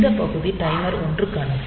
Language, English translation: Tamil, So, this part is for timer 1